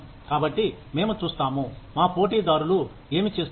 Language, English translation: Telugu, So, we will see, what our competitors are doing